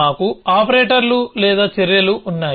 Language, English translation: Telugu, We have the operators or the actions